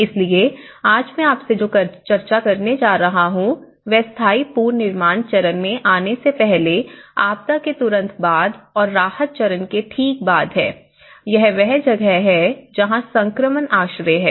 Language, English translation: Hindi, So, today what I am going to discuss with you is it is about the immediately after a disaster before coming into the permanent reconstruction stage and just immediately after relief stage, this is where the transition shelter